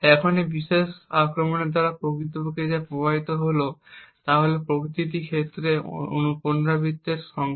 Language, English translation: Bengali, Now what actually is affected by this particular attack is the number of iterations that are done for each case